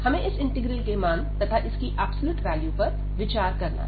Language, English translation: Hindi, So, what we have seen that this integral, which we have started with the absolute value